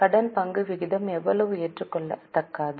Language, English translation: Tamil, How much debt equity ratio is acceptable